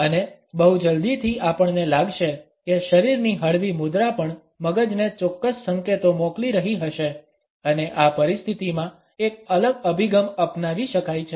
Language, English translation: Gujarati, And very soon we may feel that the relaxed body posture would also be sending certain signals to the brain and a different approach can be taken up in this situation